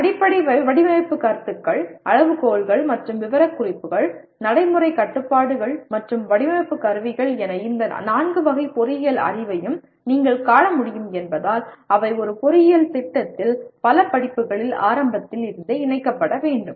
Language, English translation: Tamil, So as you can see these four categories of engineering knowledge namely fundamental design concepts, criteria and specifications, practical constraints and design instrumentalities, they have to be incorporated right from the beginning in several courses in an engineering program